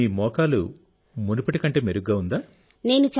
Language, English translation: Telugu, So now your knee is better than before